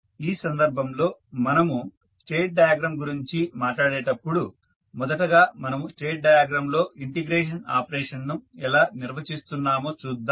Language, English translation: Telugu, So, in this case when we talk about the state diagram let us first see how the integration of operation you will define in the state diagram